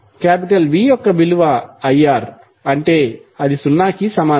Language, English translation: Telugu, The value of V that is I R will be equal to zero